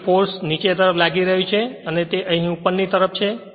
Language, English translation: Gujarati, Then we force actually acting downwards here and here it here it is upward right